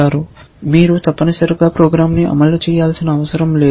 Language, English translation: Telugu, You do not have to keep running the program essentially